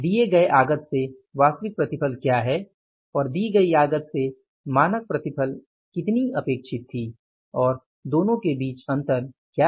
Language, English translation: Hindi, How much is the how much was the standard yield expected from that given amount of input and what is the difference between the two